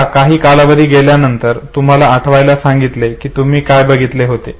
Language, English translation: Marathi, Now after the lapse of certain period of time you are asked to recollect what do you actually saw now you see